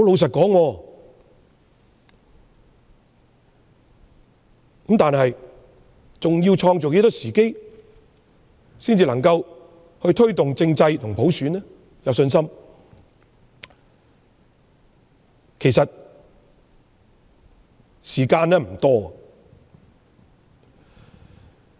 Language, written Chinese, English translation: Cantonese, 政府仍要再創造多少時機，才能令市民對推動政制和普選有信心？, In order to boost public confidence in the promotion of constitutional reforms and universal suffrage how much more favourable conditions do the Government have to create?